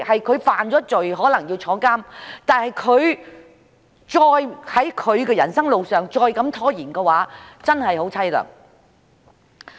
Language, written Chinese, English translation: Cantonese, 他犯了罪，可能被判監，但如果在他的人生路上再被拖延的話，便真的很淒涼。, When he committed an offence he could be sentenced to jail . But if he should be further held back from moving on with his life that would really be miserable